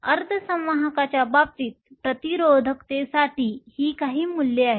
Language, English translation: Marathi, These are some of the values for resistivity in the case of semiconductors